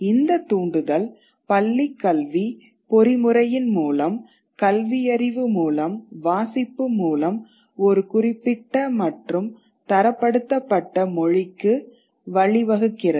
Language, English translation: Tamil, And this entire push sort of through the schooling mechanism, through the reading, through literacy, leads to a certain standardized language